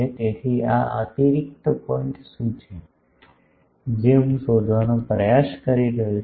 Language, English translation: Gujarati, So, what is this extra point, that I am trying to find